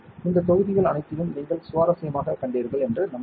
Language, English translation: Tamil, Hope you are finding all these modules interesting